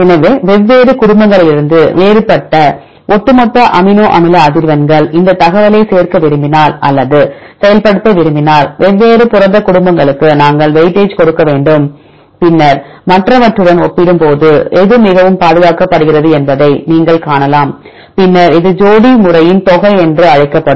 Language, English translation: Tamil, So, here the overall amino acid frequencies which is different from different families; so in order to if you want to implement if you want to include this information then we need to give weightage for the different a protein families then you can see which one is highly conserved compared with the other ones then there is another measure this is called a sum of pairs method right here